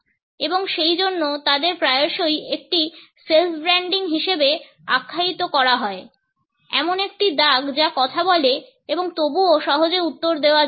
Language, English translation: Bengali, And therefore, they are often termed as a self branding, a scar that speak and yet cannot be replied to easily